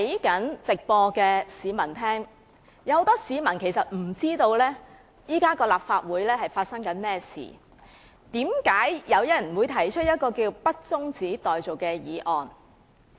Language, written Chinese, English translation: Cantonese, 很多市民不明白立法會正在發生甚麼事，不理解為何有議員提出這項不中止待續的議案。, Many people may not know what is going on in the Legislative Council or understand why a Member would propose this motion that the debate be not adjourned